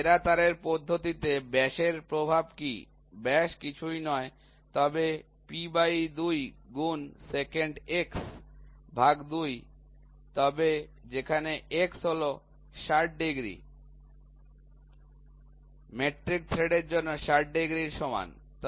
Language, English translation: Bengali, So, what is the effect to diam best wire method diameter, diameter is nothing, but P by 2 into secant x by 2 which is nothing, but where x where x is equal to 60 degrees, 60 degrees for metric thread